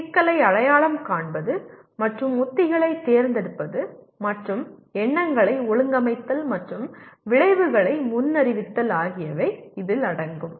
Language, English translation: Tamil, That will involve identifying the problem and choosing strategies and organizing thoughts and predicting outcomes